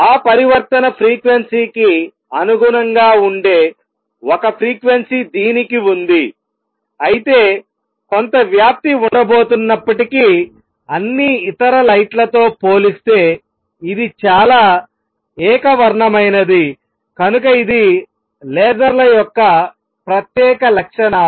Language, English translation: Telugu, It has one frequency that corresponds to that transition frequency although there is going to be some spread, but is highly monochromatic compared to all other lights, so that is the special properties of lasers